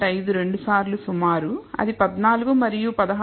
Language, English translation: Telugu, 5 which is 14 and 16